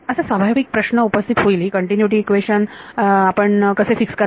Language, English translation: Marathi, So, the natural question will come how do you fix the continuity equation right